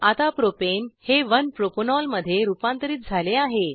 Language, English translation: Marathi, Propane is now converted to 1 Propanol